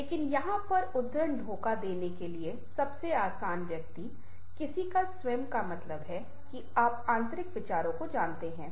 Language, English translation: Hindi, but here the this quote is the easiest person to the deceive is ones own self means